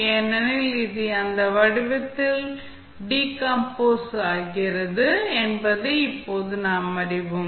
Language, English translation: Tamil, Because now we know, that it is decompose into this form